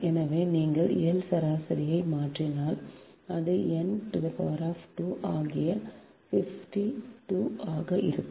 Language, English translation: Tamil, so if you substitute l average, this one, it will become n square